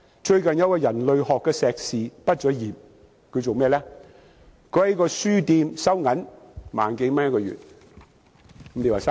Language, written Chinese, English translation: Cantonese, 最近有一位人類學碩士畢業生，他從事甚麼工作？, Recently a graduate with a master degree in Anthropology works as a cashier in a bookshop earning 10,000 - plus a month